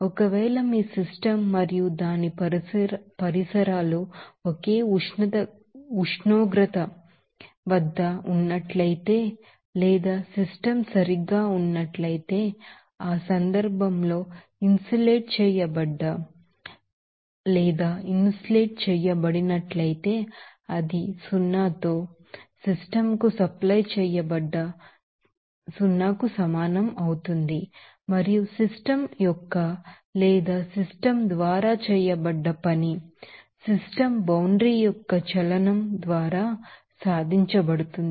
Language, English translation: Telugu, Now, if your system and its surroundings are at the same temperature or the system is perfectly, you can see that insulated in that case Q will be equal to zero that is supplied to the system with it is zero and work done on or by the system will be accomplished by the movement of the system boundary